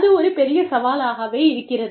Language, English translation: Tamil, That is a big challenge